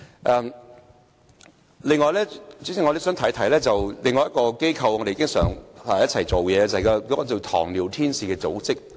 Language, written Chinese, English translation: Cantonese, 此外，代理主席，我也想提一提另一個經常與我們合作的機構，就是名為"糖尿天使"的組織。, Moreover Deputy President I would like to mention another organization which often work with us . It is an organization called the Angel of Diabetic which is particularly concerned about the residents in Kowloon East